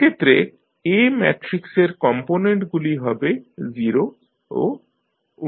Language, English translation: Bengali, So, the components of A matrix will be 0 and 1 by C, in this case